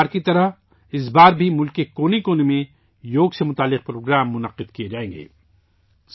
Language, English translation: Urdu, Like every time, this time too programs related to yoga will be organized in every corner of the country